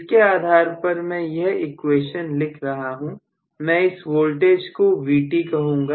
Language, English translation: Hindi, So, based on this I should be able to write the equation somewhat like this, if I say this voltage is Vt, I am going to have